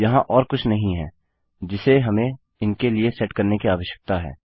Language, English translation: Hindi, There is nothing else that we need to set for these